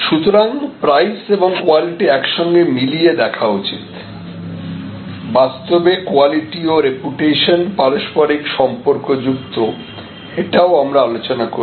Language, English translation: Bengali, So, price and quality should be seen together, in fact, quality and reputation are quite connected this also we had discussed and so on